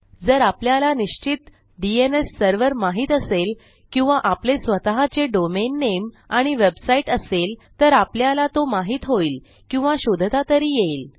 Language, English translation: Marathi, If you know a specific DNS Server, if you have a domain name already, if you have a website you will know it or you will be able to find it, at least